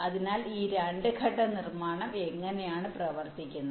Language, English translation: Malayalam, so this is how this two step manufacturing works